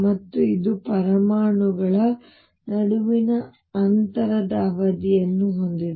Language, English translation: Kannada, And it has a period of the distance between the atoms